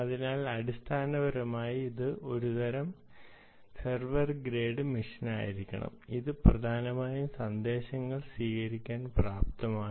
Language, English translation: Malayalam, it has to be a sort of a server grade machine essentially, which is able to receive messages